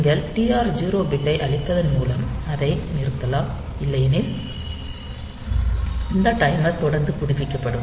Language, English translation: Tamil, So, you can stop it in between by clearing the TR 0 bit, or otherwise this timer will continually update